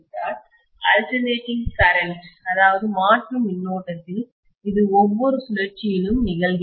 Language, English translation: Tamil, In an alternating current, this happens during every cycle